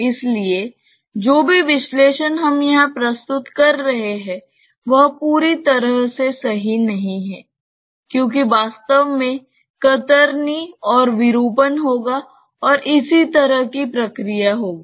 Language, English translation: Hindi, So, whatever analysis that we are presenting here is not perfectly correct because in reality there will be shear and deformation and so on